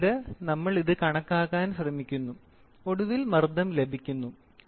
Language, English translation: Malayalam, Then, I try to calculate this and then finally, what I get is pressure